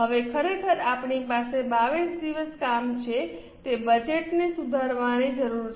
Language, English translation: Gujarati, Now, since actually we have worked for 22 days, there is a requirement to revise that budget